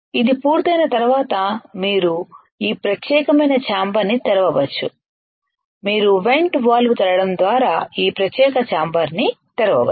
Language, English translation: Telugu, Once it is done you can open this particular chamber you can open this particular chamber by opening the vent valve